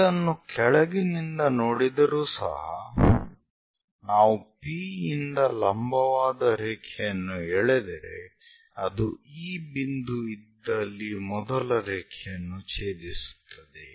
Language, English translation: Kannada, For the bottom also bottom view from P if we are dropping a perpendicular line is going to intersect the first line at this point locate that first point P1